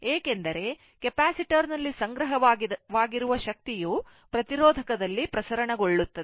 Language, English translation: Kannada, Because, energy stored in the capacitor will be dissipated in the resistor